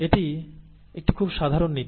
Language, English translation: Bengali, This is a very general principle